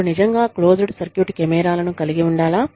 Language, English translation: Telugu, Do we really need to have, closed circuit cameras there